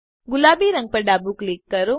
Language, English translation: Gujarati, Left click the pink color